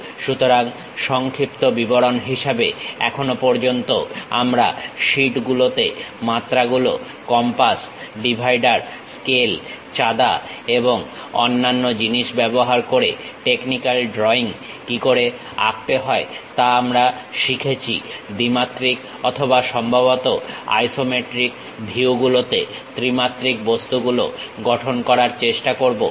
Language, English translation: Bengali, In terms of overview; so, till now we have learnt how to draw technical drawing on sheets using dimensions, compass, dividers, scales, protractor and other objects we have used; try to construct two dimensional and perhaps three dimensional objects in isometric views